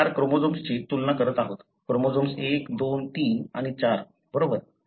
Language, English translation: Marathi, So, we are comparing, say 4 chromosomes chromosome 1, 2, 3 and 4, right